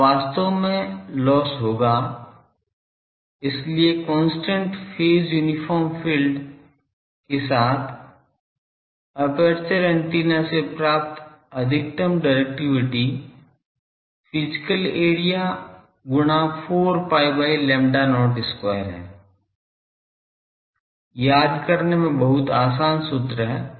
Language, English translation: Hindi, So, the maximum directivity obtainable from an aperture antenna with a constant phase uniform field is physical area multiplied by 4 pi by lambda not square; very simple formula easy to remember